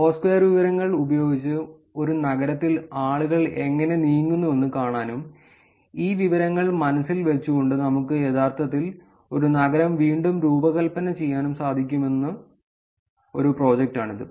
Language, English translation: Malayalam, This is a project where they are actually using Foursquare information to see how people actually move in a given city and can we actually re design a city keeping this information in mind